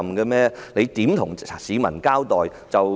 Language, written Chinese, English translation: Cantonese, 他們如何向市民交代？, How do they give an account to the people?